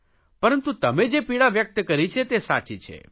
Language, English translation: Gujarati, But the concern you have expressed is genuine